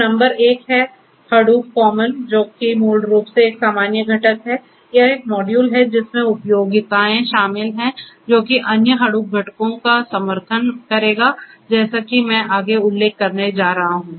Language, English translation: Hindi, So, number one is Hadoop common which is basically a common component which is basically a module that contains the utilities that would support the other Hadoop components like the once that I am going to mention next